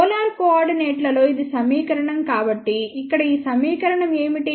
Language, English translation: Telugu, This is the equation in the polar coordinates so, what is this equation here